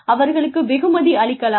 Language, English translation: Tamil, They should be rewarding